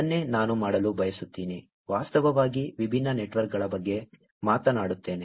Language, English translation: Kannada, That is what I want to do, actually, talk about different networks